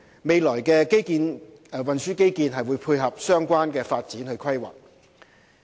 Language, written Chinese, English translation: Cantonese, 未來運輸基建會配合相關發展規劃。, The future transport infrastructure will tie in with the planning of relevant development